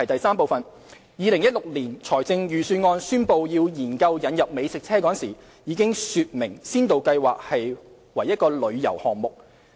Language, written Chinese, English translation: Cantonese, 三2016年財政預算案宣布要研究引入美食車時，已經說明先導計劃為旅遊項目。, 3 In the 2016 Budget the Government announced that it would consider introducing food trucks and taking forward the Pilot Scheme as a tourism project